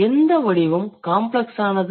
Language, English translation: Tamil, Which form is the complex one